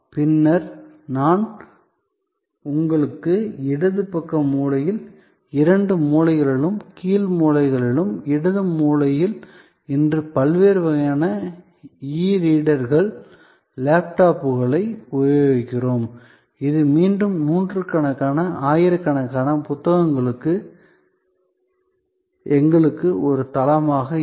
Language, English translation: Tamil, And then, I have shown you on the left side corner, the two corners bottom corners, the left corner is where we are today, the use of different kinds of e readers, tablets which can be use us a platform for again hundreds, thousands of books